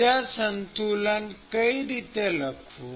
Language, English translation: Gujarati, So what is the energy balance